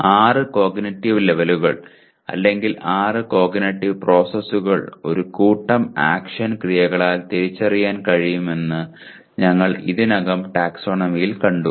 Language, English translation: Malayalam, We have already seen in the taxonomy that the six cognitive levels or six cognitive process they can be identified by a set of action verbs